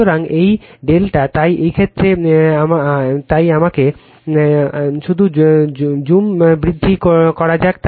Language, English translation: Bengali, So, this is delta, so in this case in this case, so let me let me let me eh just increase the zoom